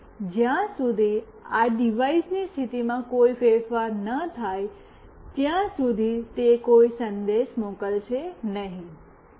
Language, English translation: Gujarati, And it will not send any message unless there is a change in the position of this device